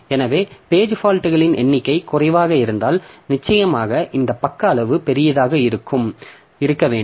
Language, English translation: Tamil, So, if the number of page faults is low, then definitely I will have to have this page size to be large